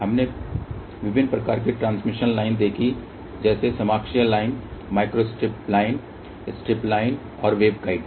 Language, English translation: Hindi, We saw different types of transmission line like coaxial line, microstrip line, strip line and waveguides